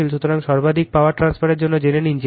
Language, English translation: Bengali, So, for maximum power transfer you know Z L is equal to z in this case conjugate, because this is Z